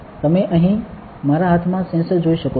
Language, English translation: Gujarati, You can see the sensor in my hand here